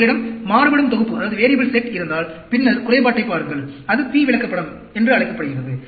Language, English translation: Tamil, If you have variable set, and then look at the defective, that is called the P chart